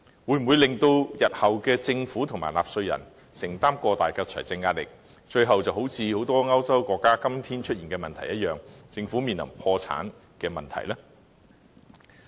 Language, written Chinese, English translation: Cantonese, 會否令日後的政府和納稅人承擔過大的財政壓力，如很多歐洲國家今天出現的問題一樣，到最後政府會面臨破產呢？, Will this bring about a problem facing many European countries today and that is the resultant financial pressure weighs too heavily on succeeding Governments and taxpayers and thus leads to the governments eventual bankruptcy?